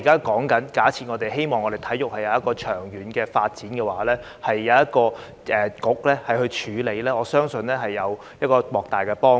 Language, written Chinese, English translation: Cantonese, 假設我們希望體育會有長遠的發展，我相信交由一個局負責處理會有莫大幫助。, For sports development to be sustainable in the long run I think it will be much better to have a bureau taking up all the relevant tasks